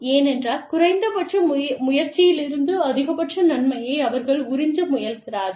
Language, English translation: Tamil, Because, they are trying to, suck the maximum benefit out of, the minimum amount of effort